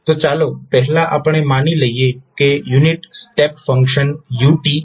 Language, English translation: Gujarati, So, first is let us say unit step function so that is ut